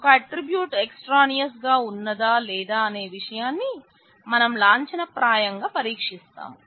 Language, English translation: Telugu, We can formalize a test for whether an attribute is extraneous